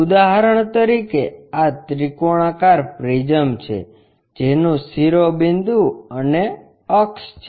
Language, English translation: Gujarati, For example, this is the triangular prism having apex and axis